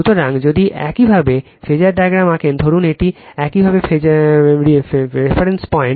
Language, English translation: Bengali, So, if you draw the phasor diagram right, suppose this is your reference point